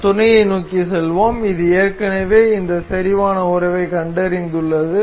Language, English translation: Tamil, We will go to mate, it it has already detected this concentric relation